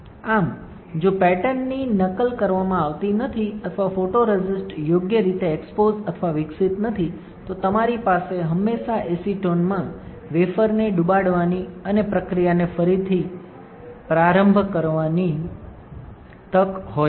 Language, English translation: Gujarati, Thus, if the patterns are not replicated or the photoresist is not exposed or developed correctly, you always have a chance of dipping the wafer in acetone and restart the process